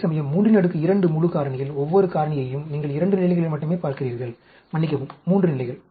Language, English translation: Tamil, Whereas, each variable in full factorial 3 raised to the power 2, you are looking at only 2 levels, sorry, 3 levels